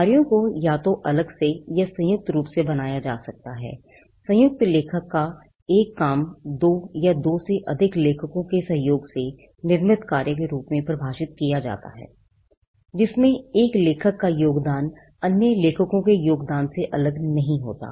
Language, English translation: Hindi, Works can be either created separately or jointly, a work of joint authorship is defined as a work produced by the collaboration of two or more authors, in which the contribution of one author is not distinct from the contribution of other authors